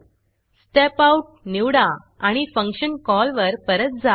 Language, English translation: Marathi, Let me choose Step Out and come back to the function call